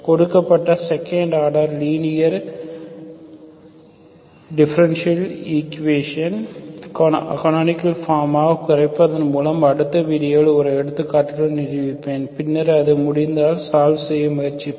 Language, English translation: Tamil, I will demonstrate with an example in the next video by reducing given second order linear partial differential equation into a canonical form and then we will try to solve if it is possible, okay